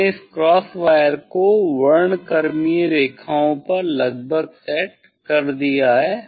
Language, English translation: Hindi, approximately I have set this cross wire to the spectral lines